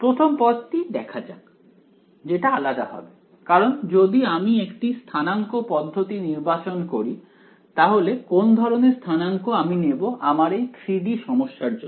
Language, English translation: Bengali, Let us go first term in the first term be different, while it will be different because if I choose a coordinate system now what coordinate system should I choose for a 3 D problem